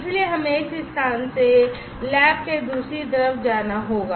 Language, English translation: Hindi, So, we will have to move from this place to the other side of the lab